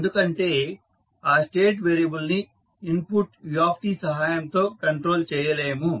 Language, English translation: Telugu, Because this state variable is not controllable by the input u t